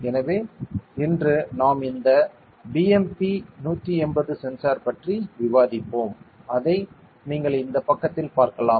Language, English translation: Tamil, So, today we will be discussing this BMP 180 sensor that you can see on this side ok